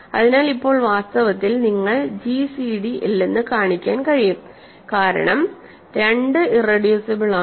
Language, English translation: Malayalam, So, now, in fact, you can show that there is no gcd because 2 is irreducible